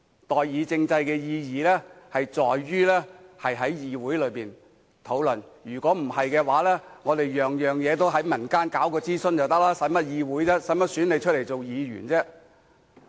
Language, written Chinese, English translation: Cantonese, 代議政制的意義是讓議會討論問題，否則將所有事情都在民間進行諮詢便可以，那便無需要議會，無需要選出議員了。, The meaning of representative government is that the Council will be responsible for deliberation otherwise we can simply consult the community about everything without the need for maintaining a legislature and holding elections